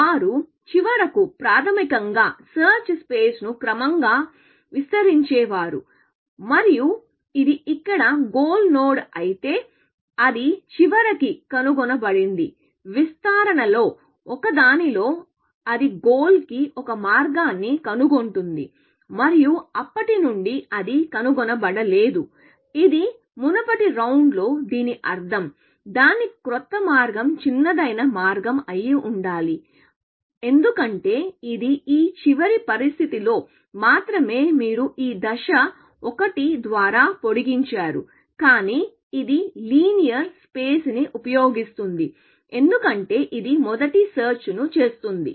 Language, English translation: Telugu, So, they finally, would have basically expanded it search space gradually, and if this is the goal node here, it would have found eventually, at one of the expansions, it would have found a path to goal and since, it did not find it in previous round; it means, its new path must be the shortest path, because it is only in this last situation, that you extended this step by 1, but it uses linear space, because it does the first search, essentially